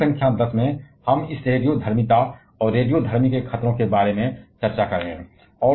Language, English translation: Hindi, In module number 10 we shall be discussing about this radioactivity, and radioactive hazardous